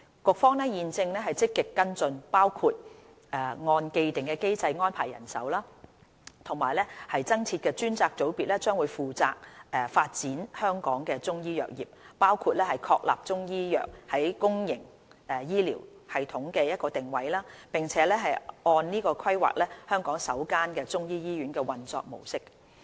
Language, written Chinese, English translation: Cantonese, 局方現正積極跟進，包括按既定機制安排人手和增設的專責組別將會負責發展香港的中醫藥業，包括確立中醫藥在公營醫療系統的定位，並按此規劃香港首間中醫醫院的運作模式。, The Bureau is now actively following up on the issue including the deployment of manpower in accordance with the established procedures . The proposed new dedicated unit will be responsible for the development of Chinese medicine sector in Hong Kong including to decide on the position of Chinese medicine in our public health care system and to plan the operational model of the first Chinese medicine hospital accordingly